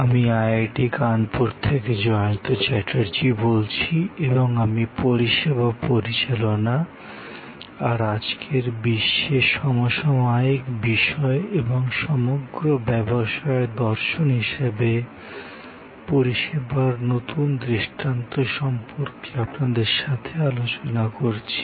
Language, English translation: Bengali, Hello, I am Jayanta Chatterjee from IIT, Kanpur and I am discussing with you about Managing Services and the contemporary issues in today's world and the new paradigm of service as a philosophy for all businesses